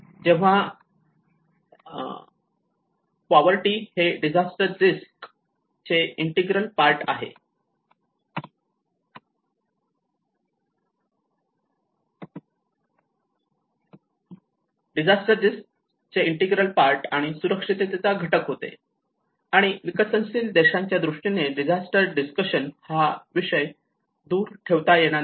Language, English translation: Marathi, When poverty becomes an integral part of the disaster risk and the vulnerability component, and in the context of developing countries this aspect cannot be secluded from the disaster discussion